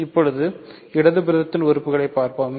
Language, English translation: Tamil, Now, let us to the implication to the left hand side